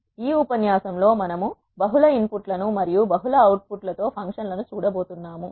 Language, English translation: Telugu, Let us see the functions with multiple input and multiple outputs